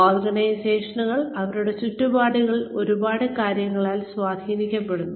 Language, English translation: Malayalam, The organizations are influenced, by a lot of things, in their environments